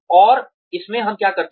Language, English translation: Hindi, And, in this, what do we do